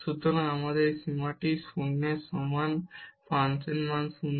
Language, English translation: Bengali, So, we have this limit is equal to 0 the function value is 0